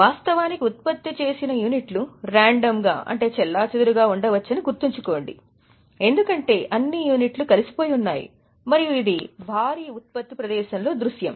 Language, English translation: Telugu, Keep in mind actually the issues may be random because all the units are alike and this is a scenario of mass production